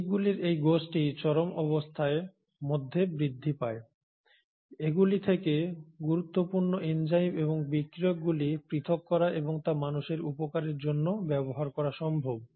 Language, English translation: Bengali, So given that these groups of organisms grow under extreme conditions it is possible to isolate important enzymes and reagents from them and use it for the human benefit